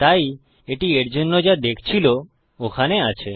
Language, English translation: Bengali, So what it was looking for is that there